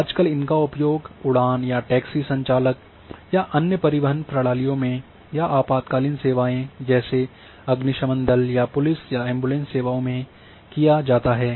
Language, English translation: Hindi, This is nowadays being used extensively a by even fleight of a taxi operators may be other transport systems may be by the emergencies services like fire brigade or ambulances may be by police